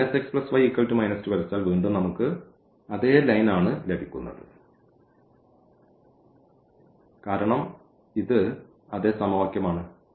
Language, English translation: Malayalam, And, now if we draw this minus x plus y is equal to minus 2 again we get the same line because, this is nothing, but the same equation